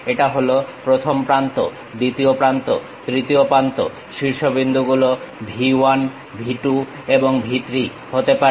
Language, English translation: Bengali, This is the 1st edge, 2nd edge, 3rd edge maybe the vertices are V 1, V 2 and V 3